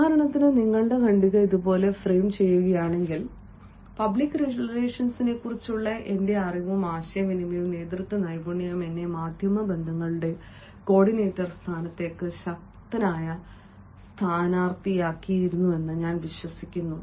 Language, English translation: Malayalam, if you frame your paragraph like this, i believe that my knowledge of public relations and my prevent, communication and leadership skills make me a strong candidate for the position of media relations coordinator posted by such and such organizations